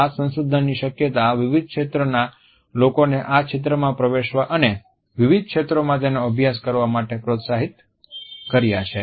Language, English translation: Gujarati, The potential of this research has encouraged people from various fields to enter this area and to study it in diverse fields